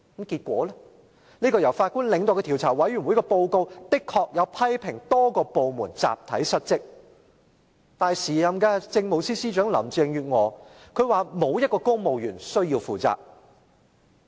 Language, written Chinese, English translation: Cantonese, 結果，由法官領導的獨立調查委員會的報告批評多個部門集體失職，但時任政務司司長林鄭月娥表示沒有一個公務員需要負責。, In the end the report of the independent commission of inquiry led by a Judge criticized various departments for a collective dereliction of duty but the then Chief Secretary for Administration Carrie LAM indicated that no civil servant should be held accountable